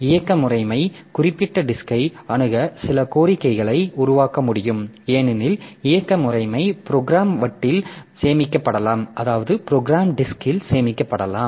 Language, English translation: Tamil, Like operating system can generate some requests to access particular disk because operating system programs may be stored in the disk so it has to access the disk